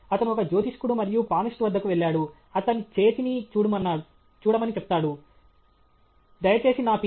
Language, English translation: Telugu, He is going to an astrologer and palmist; he is saying to please look at my hand, please tell me, when I will get my Ph